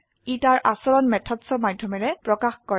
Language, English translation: Assamese, It exposes its behavior through methods